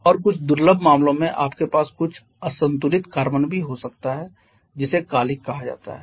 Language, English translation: Hindi, And in certain rare cases you may have some unburned quantity or unburned carbon as well which we call soot